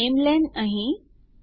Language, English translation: Gujarati, So namelen there...